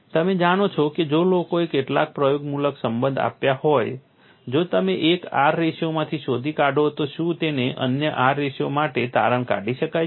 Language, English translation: Gujarati, You know if people have given some empirical relation, if you find out from one R ratio whether it could be extrapolated for other r ratios